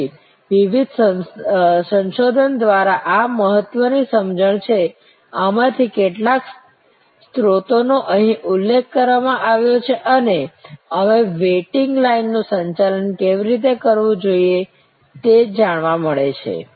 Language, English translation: Gujarati, So, these are important understanding through various research, some of these sources are mentioned here and we get to know how to manage the waiting line